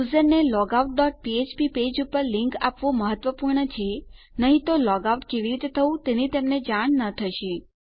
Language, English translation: Gujarati, Its important to give the link the user to our logout dot php page otherwise theyll not know how to logout